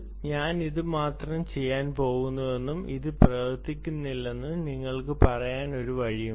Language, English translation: Malayalam, there is no way by which you can say: i am going to do only this and this is not going to work